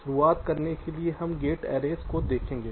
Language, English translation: Hindi, to start be, we shall be looking at gate arrays